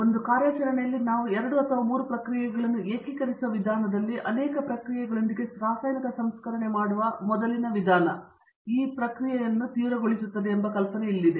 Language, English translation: Kannada, Where the idea is that the earlier way of doing chemical processing with multiple operations can be now intensify the process in such a way that we can integrate 2 or 3 processes in 1 operation